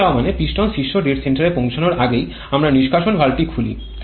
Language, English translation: Bengali, Blowdown means we open the exhaust valve before the piston reaches the top dead center